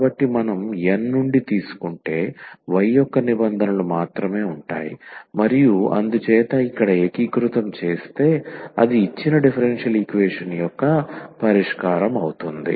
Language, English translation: Telugu, So, only the terms of y if we take from N and then this integrate here that is exactly the solution of the given differential equation